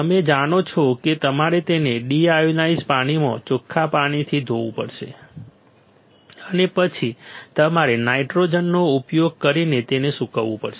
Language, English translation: Gujarati, You know that you have to rinse it in deionized water, and then you have to dry it using nitrogen